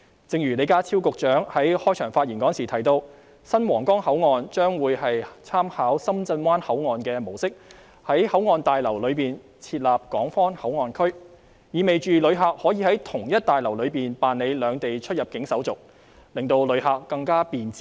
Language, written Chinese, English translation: Cantonese, 正如李家超局長在開場發言時提到，新皇崗口岸將會參考深圳灣口岸的模式，在口岸大樓內設立港方口岸區，這意味旅客可以在同一座大樓內辦理兩地出入境手續，令旅客過關更為便捷。, As Secretary John LEE said in his opening speech the new Huanggang Port will be modelled on the Shenzhen Bay Port . A Hong Kong Port Area will be demarcated at the new port building . It means that tourists can complete the clearance procedures of the two places in the same building thus giving them much boundary crossing convenience